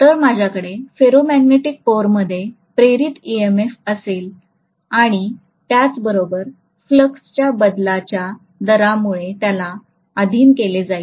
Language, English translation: Marathi, So I will have an induced EMF in the ferromagnetic core as well because of the rate of change of flux it is being subjected to